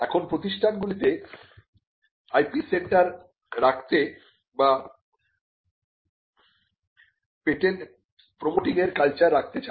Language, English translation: Bengali, Now, want institutions to have IP centres or to have a culture of promoting patents